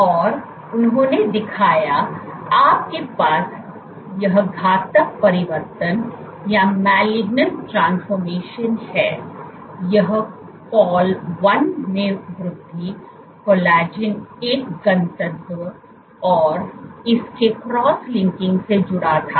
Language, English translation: Hindi, So, and what they showed, so just you have this malignant transformation, it was associated with increase in col 1, collagen one density and its cross linking